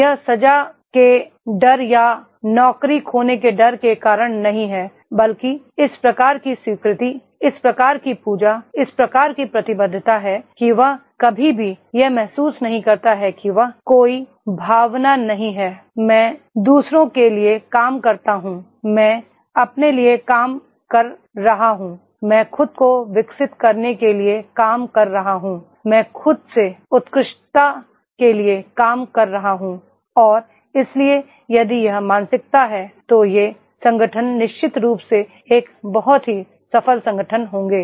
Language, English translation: Hindi, It is not because of the fear of punishment or fear of losing the job but this type of acceptance, this type of the worship, this type of the commitment that he never realises that he …There is no feeling, I am working for others, I am working for myself, I am working for developing myself, I am working for the excellence of myself and therefore if this mindset is there, those organisations will be definitely a very successful organizations